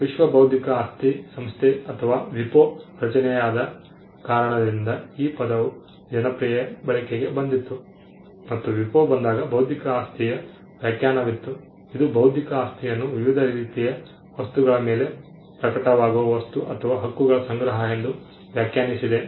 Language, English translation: Kannada, The term came to popular usage because of the creation of the World Intellectual Property Organization or the WIPO, when it came WIPO had a definition of intellectual property; it defined intellectual property as a collection of things or rights that manifest over different types of things